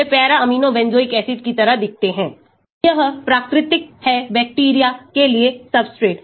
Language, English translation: Hindi, They look like the para amino benzoic acid, this is the natural substrate for the bacteria